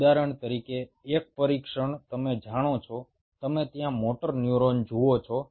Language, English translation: Gujarati, one test is: say, for example, you have, you know, you see the motor neuron out there